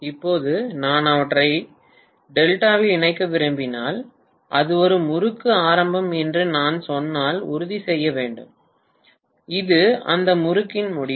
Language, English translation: Tamil, Now, if I want to connect them in delta, I have to make sure if I say that this is the beginning of one winding, this is the end of that winding